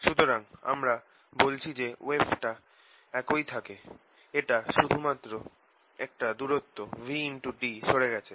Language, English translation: Bengali, so what we are saying is that the disturbance remain the same as has shifted by distance, v, t